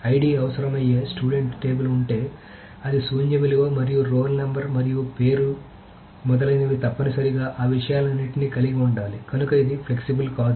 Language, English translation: Telugu, So if there is a student table which requires an ID which is a non nall value and a role number and name etc it must have all of these things